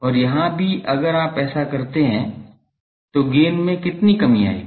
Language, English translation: Hindi, And, here also if you do this how much reduction the gain will suffer